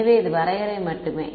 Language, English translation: Tamil, So, this is just definition all right